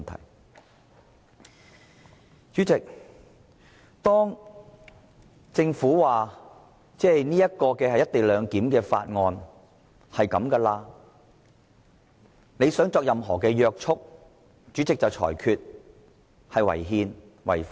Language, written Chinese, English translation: Cantonese, 當議員想就政府所提交有關"一地兩檢"的《條例草案》施加任何約束時，主席就會裁決有關建議違憲、違法。, When Members proposed to impose any restriction on the Bill introduced by the Government the President ruled the relevant proposals unconstitutional and unlawful